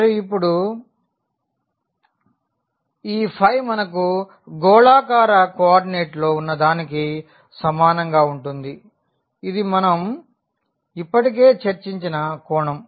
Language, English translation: Telugu, And, now this phi is similar to what we have in the spherical coordinate that is the angle precisely this one which we have already discussed